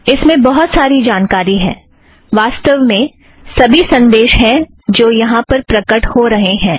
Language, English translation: Hindi, It has a lot of information, as a matter of fact, it has all the messages that appear over here